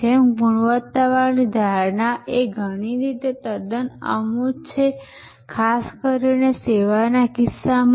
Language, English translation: Gujarati, Just like quality perception is a sort of quite intangible in many ways, in particularly in case of service